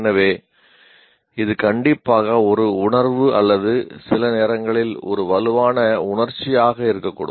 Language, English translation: Tamil, So, what can happen is this is a strictly a feeling or sometimes can be a strong emotion